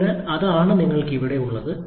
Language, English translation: Malayalam, So, that is what you have here